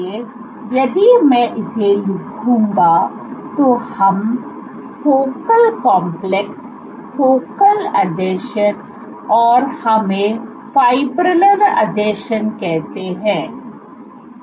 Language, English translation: Hindi, So, let us say focal complexes you have focal adhesions and let us say fibrillar adhesions